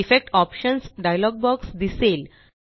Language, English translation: Marathi, The Effects Options dialog box appears